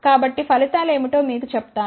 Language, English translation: Telugu, So, let me tell you what are the results